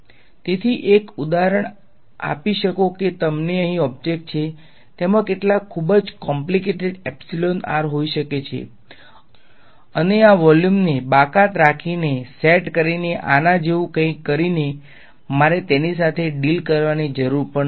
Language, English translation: Gujarati, So, one example can give you is object over here, it may have some very complicated epsilon r and I do not have to deal with it by doing something like this by setting by removing excluding this volume but